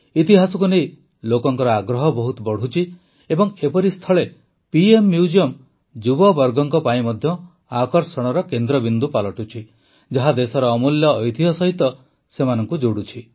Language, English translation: Odia, People's interest in history is increasing a lot and in such a situation the PM Museum is also becoming a centre of attraction for the youth, connecting them with the precious heritage of the country